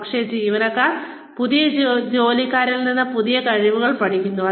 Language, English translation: Malayalam, Older employees, learn new skills, from new entrants